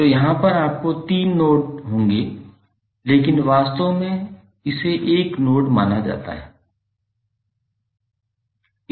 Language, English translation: Hindi, So here you will have, in b you will have three nodes but actually it is considered as one node